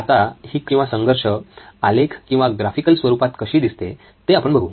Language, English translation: Marathi, Let’s look at how the conflict looks like in graphical format